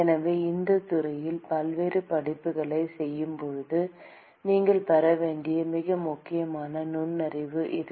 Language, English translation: Tamil, So, this is a very important insight that you should gain while doing various courses in the department